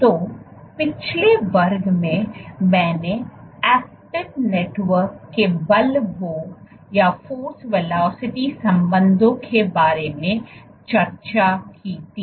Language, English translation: Hindi, So, in the last class I had discussed about force ferocity relationships of actin networks